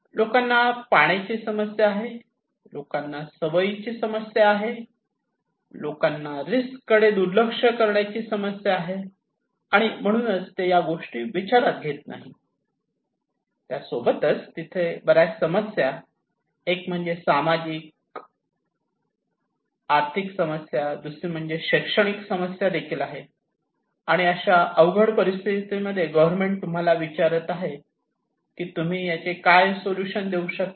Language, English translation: Marathi, People have water problem, people have habit problem, people have problem of risk ignorance so, they are not considering so, many problems, one is socio economic problem, another one is the educational problem so, during such a complex situations, the government is hiring you and asking you that what solution you can give